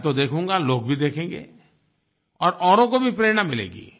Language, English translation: Hindi, I will definitely see, people will also see and others will also get inspiration